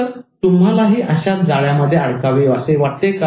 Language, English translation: Marathi, So do you want to get caught in this kind of trap